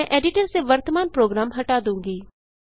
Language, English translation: Hindi, I will clear the current program from the editor